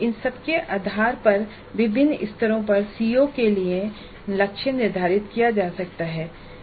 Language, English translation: Hindi, Based on all these the COs can be set the targets can be set for COs at different levels